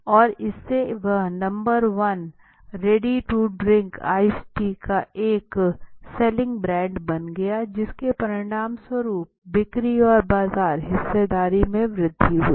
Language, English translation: Hindi, The mobility right which became the number one selling brand of ready to drink ice tea okay the result was increased sales and market share